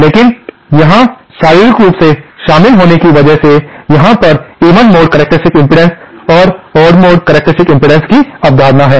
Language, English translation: Hindi, But here because of the physics involved, there is the concept of the even mode even mode characteristic impedance and the odd mode characteristic impedance